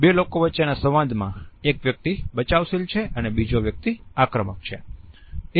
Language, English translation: Gujarati, In the dialogue of the two people which of the two is being defensive and which one is being aggressive